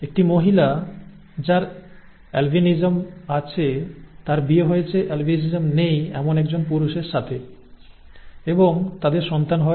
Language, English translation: Bengali, A female who has albinism marries a male without albinism and they have children